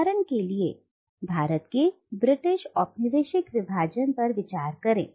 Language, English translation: Hindi, Let us consider the British colonial subjugation of India for instance